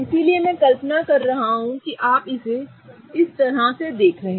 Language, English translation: Hindi, So, I'm imagining that you are looking at it like this